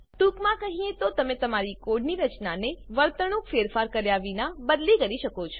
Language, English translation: Gujarati, In short, you can change the structure of the code without changing the behaviour